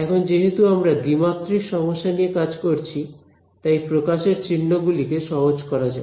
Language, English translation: Bengali, Now, because we are dealing with the 2D problem let us try to just simplify notation as much as possible